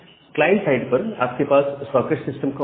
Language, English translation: Hindi, At the client side you have the socket system call